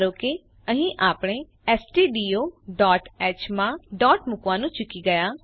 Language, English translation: Gujarati, Suppose here I will the miss the dot in stdio.h Click on Save